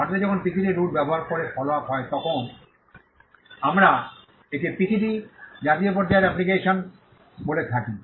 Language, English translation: Bengali, When the follow up happens in India using the PCT route, we call it a PCT national phase application